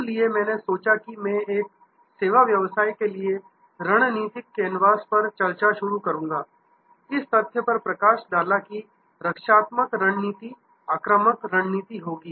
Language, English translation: Hindi, So, I thought I will start with a discussion on strategy canvas for a services business, highlighting the fact that there will be defensive strategies, offensive strategies